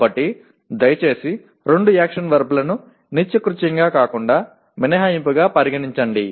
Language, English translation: Telugu, So please treat using of two action verbs as an exception rather than as a matter of routine